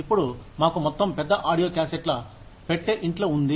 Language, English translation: Telugu, Now, we have a whole big box of audio cassettes, lying at home